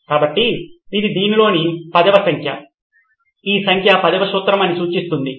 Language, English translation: Telugu, So this is the number 10 in this signifies that this is the number 10 principle